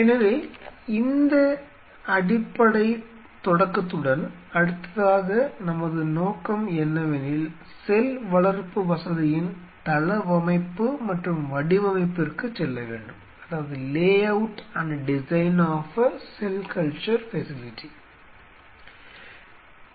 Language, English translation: Tamil, So, next our objective will be move on to with this basic start of I will move on to layout and design of a cell culture facility